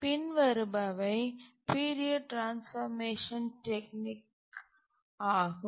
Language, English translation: Tamil, Let's look at the period transformation technique